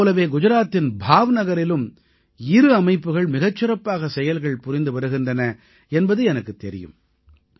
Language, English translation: Tamil, Along with this I know two organisations in Bhav Nagar, Gujarat which are doing marvellous work